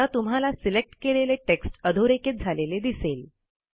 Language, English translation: Marathi, You see that the selected text is now underlined